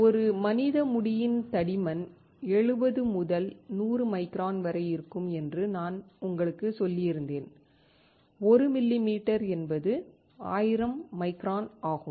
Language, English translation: Tamil, I had told you that the thickness of a single human hair is around 70 to 100 microns; 1 millimeter is 1000 microns